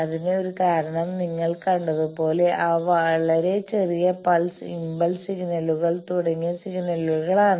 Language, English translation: Malayalam, One of the reasons also is that as you have seen that those very short pulse, type pulse of signals like impulse signals, etcetera